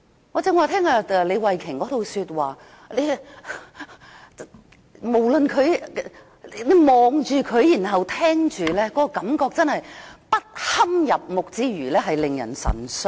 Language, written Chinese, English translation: Cantonese, 我剛才聽畢李慧琼議員的發言，不論是看着她或聽着她說話，覺得不堪入目之餘，還感到神傷。, Just now after I had heard the speech of Ms Starry LEE no matter whether I was looking at her or listening to her I did not only find her detestable I was also saddened